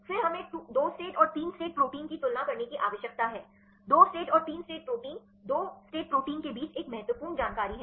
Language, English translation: Hindi, Then we need to compare the 2 state and 3 state proteins there is one important information between 2 state and 3 state proteins the 2 state proteins